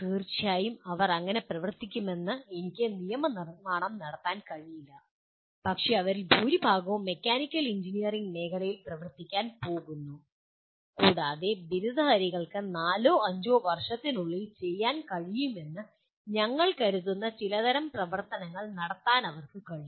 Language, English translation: Malayalam, Of course I cannot legislate they have to work like that, but majority of them are going to work in the mechanical engineering field and they are able to perform certain type of activities that we consider the graduates will be able to do in four to five years after graduation